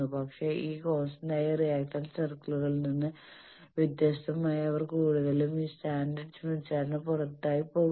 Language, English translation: Malayalam, But, unlike in this constant reactance circles they are mostly going outside this standard smith chart